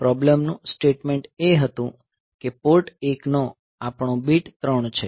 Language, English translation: Gujarati, So, what is happening, the problem statement was that our bit 3 of Port 1